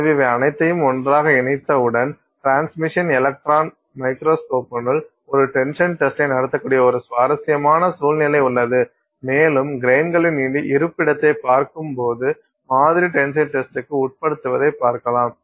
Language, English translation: Tamil, So, once you put all of these together, you have a very interesting situation where you can run an tensile test inside the electron microscope, inside the transmission electron microscope and you can watch the sample you know undergo its a tensile test while watching the location of the grains